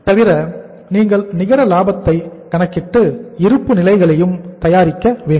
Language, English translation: Tamil, Apart from that you will have to calculate the net profit also and prepare the balance sheet also